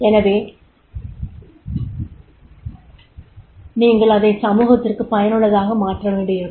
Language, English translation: Tamil, So you will be making the useful to the society